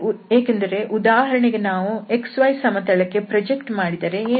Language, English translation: Kannada, So here in this case we will project on the x y plane